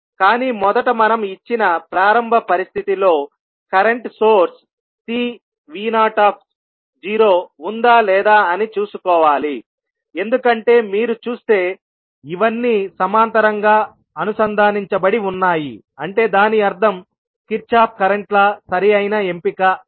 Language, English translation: Telugu, But we have to first see that initial condition which is given will have the current source C v naught because if you see these all are connected in parallel it means that Kirchhoff’s current law would be most suitable option